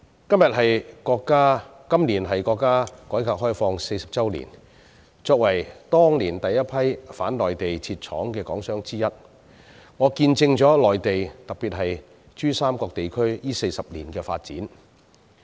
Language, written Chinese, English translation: Cantonese, 今年是國家改革開放40周年，我作為當年第一批往內地設廠的港商之一，見證了內地特別是珠三角地區這40年來的發展。, This year marks the 40 anniversary of the reform and opening up of the country and as one of the members in the first batch of Hong Kong businessmen who went to set up factories on the Mainland back in those years I have witnessed the development of the Mainland especially the PRD Region over the past 40 years